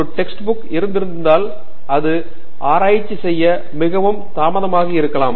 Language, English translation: Tamil, May be if there were a text book them may be it is too late to do research in that